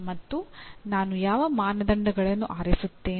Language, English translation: Kannada, And what criteria do I select